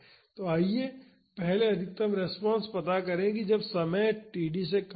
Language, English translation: Hindi, So, first let us find out the maximum response during time is less than td